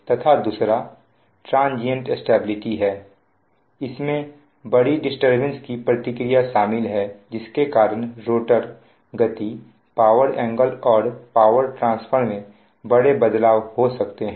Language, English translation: Hindi, it involves the response to large disturbances that you know which may cause rather large changes in rotor speed, power angles and power transfer